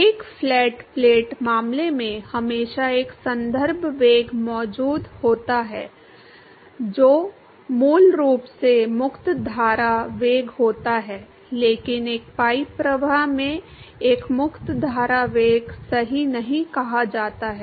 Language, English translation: Hindi, In a flat plate case, there was always a there existed always a reference velocity which is basically the free stream velocity, but in a pipe flow there is nothing called a free stream velocity right